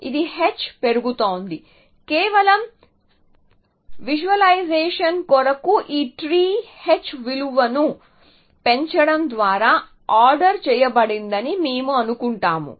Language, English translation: Telugu, So, that this is increasing h just for the sake of visualization we assume that this tree is ordered by increasing h values